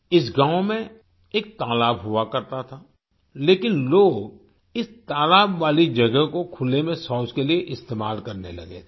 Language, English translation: Hindi, There used to be a pond in this village, but people had started using this pond area for defecating in the open